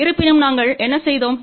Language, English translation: Tamil, However what we did